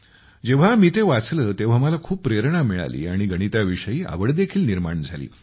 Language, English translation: Marathi, When I read that, I was very inspired and then my interest was awakened in Mathematics